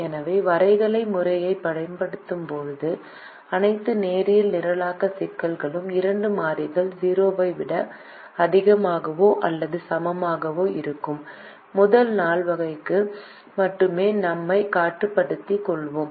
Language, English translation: Tamil, so in all linear programming problems when we use the graphical method, we will be restricting ourselves only to the first quadrant, where the two variables are greater than or equal to zero